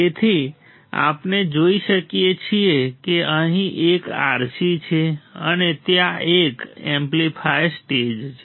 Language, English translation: Gujarati, So, we see there is one RC here there is one RC over here and there is a amplifier stage correct